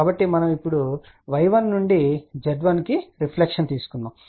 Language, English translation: Telugu, So, now from y 1 we took the reflection went to Z 1